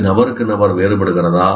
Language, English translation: Tamil, Does it differ from person to person